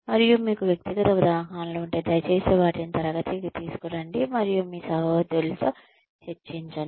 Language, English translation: Telugu, And, if you have personal examples, please bring them to class and discuss them with your colleagues